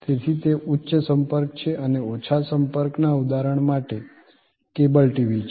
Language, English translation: Gujarati, So, that is high contact and; obviously, therefore, the low contact is for example, cable TV